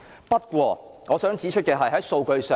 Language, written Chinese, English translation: Cantonese, 不過，我想指出有關警員犯罪的數字。, Yet I wish to provide some figures on crimes committed by off - duty police officers